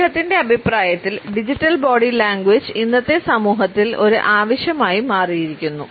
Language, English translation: Malayalam, Digital body language according to him has become a need in today’s society